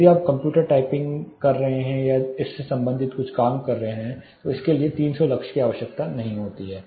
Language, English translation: Hindi, If you are doing some work in the computer type writing it may not require 300 lux may be it is lightly low